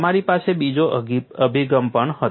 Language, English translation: Gujarati, You also had another approach